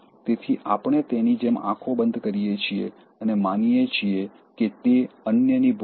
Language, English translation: Gujarati, So, we close our eyes like that, and we think that others are at fault